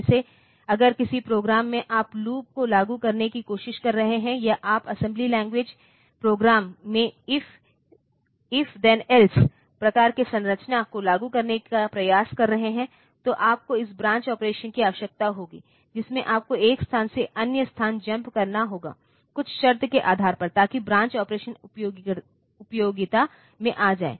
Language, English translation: Hindi, Like if in a program you are trying to implement a loop, or you are trying to implement an if then else type of structure in an assembly language program, then you will need these branch operations, in which you have to jump from one location to the other based on some condition so that way the branch operations will come into utility